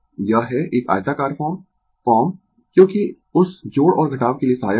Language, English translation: Hindi, This is a rectangular form this form because for that addition and subtraction will be helpful, right